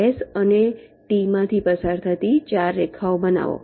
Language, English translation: Gujarati, generate four lines passing through s and t